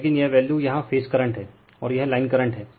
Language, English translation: Hindi, But, here the value here the phase current is here, and this is line current